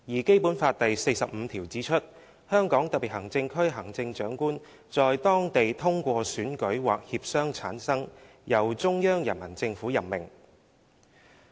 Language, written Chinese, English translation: Cantonese, "《基本法》第四十五條則指出："香港特別行政區行政長官在當地通過選舉或協商產生，由中央人民政府任命。, Article 45 of the Basic Law provides that The Chief Executive of the Hong Kong Special Administrative Region shall be selected by election or through consultations held locally and be appointed by the Central Peoples Government